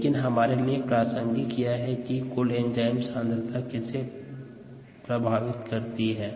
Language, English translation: Hindi, but what does total enzyme concentration affect